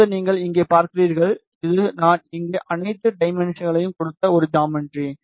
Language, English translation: Tamil, Now, you see here, this is a geometry I have given here all the dimensions